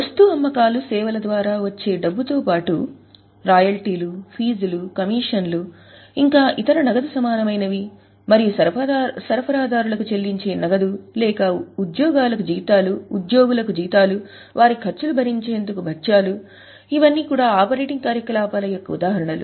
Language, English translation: Telugu, You can receive some money apart from sales in the form of royalties, fees, commissions, their cash equivalents, cash paid to suppliers or cash which is paid to employees as salaries, allowances, perks for their expenses, all these are examples of operating activities